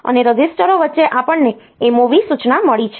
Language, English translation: Gujarati, And between registers we have got MOV instruction